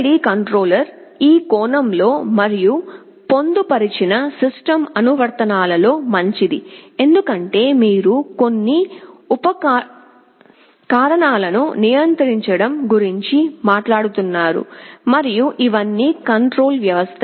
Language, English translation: Telugu, PID controller is good in this sense and in embedded system applications, because you are talking about controlling some appliances and all of these are feedback control systems